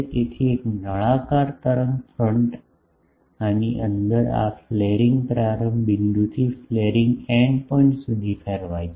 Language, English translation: Gujarati, So, a cylindrical wave front is radiated inside this from this flaring start point to the flaring end point